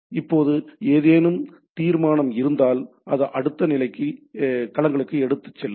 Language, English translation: Tamil, Now if there is any resolution, it will go to that next level domains